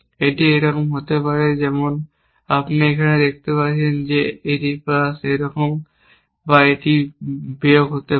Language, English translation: Bengali, So, let me just label it, it can be like this as you can see here this is plus this is like this or it can be plus minus